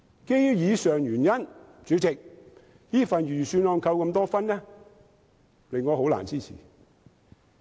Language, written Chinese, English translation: Cantonese, 基於以上原因，代理主席，這份預算案被扣了那麼多分數，令我難以支持。, Owing to these reasons Deputy Chairman so many marks have been deducted from this Budget making it hard for me to support it